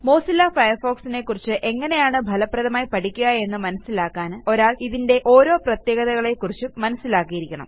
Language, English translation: Malayalam, To learn how to use Mozilla Firefox effectively, one should be familiar with each of its features